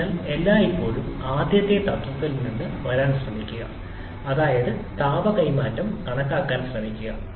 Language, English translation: Malayalam, So, always try to come from the first principle that is just try to calculate the heat transfers